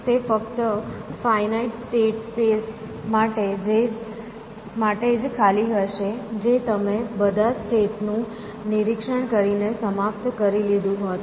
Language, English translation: Gujarati, When will it be empty it will be empty only for finite state spaces that you would have ended up by inspecting all the states